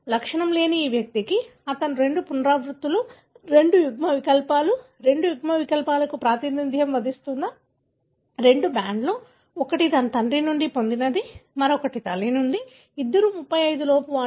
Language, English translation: Telugu, I see that this individual who is asymptomatic, he has got two repeats, two alleles, two bands representing two alleles, one that he got from his father, other one is from mother, which both of them are below 35